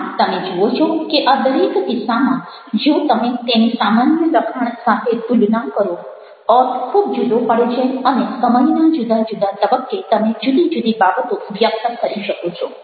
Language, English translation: Gujarati, so you find that in each of these cases, if you are comparing it with an ordinary text, the meaning is very different and you are able to do things which are which are which are able to convey different things at different points of time